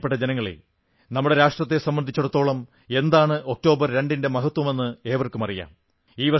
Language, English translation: Malayalam, My dear countrymen, every child in our country knows the importance of the 2nd of October for our nation